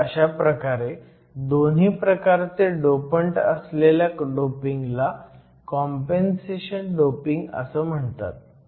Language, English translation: Marathi, So, this type of doping with both kinds of dopants is called compensation doping